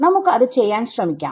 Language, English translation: Malayalam, So, try to work it out